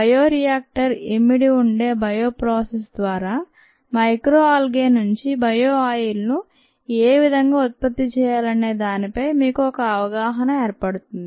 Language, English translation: Telugu, that would give you an idea is to how it is possible to produce bio oil from micro algae through a bio process that involves a bio reactor